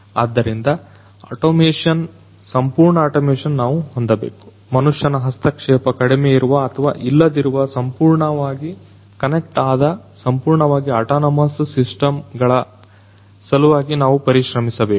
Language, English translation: Kannada, So, automation, full automation we need to have we need to strive towards fully connected fully autonomous systems with reduced or ideally no human intervention